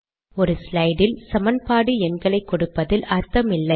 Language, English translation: Tamil, It does not make sense to give equation numbers in a slide